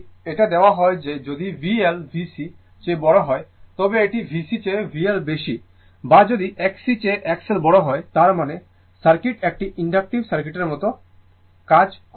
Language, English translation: Bengali, Now, if it is given that if V L greater than V C, that is V L greater than V C or if X L greater than X C right, that means, circuit will behave like inductive circuit